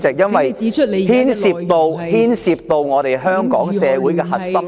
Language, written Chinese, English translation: Cantonese, 因為這牽涉到香港社會的核心利益。, Because it is related to the core interests of Hong Kong society